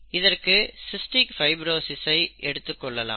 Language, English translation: Tamil, To do that, let us consider cystic fibrosis